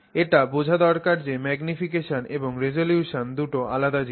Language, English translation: Bengali, This is very important to understand that magnification and resolution are very different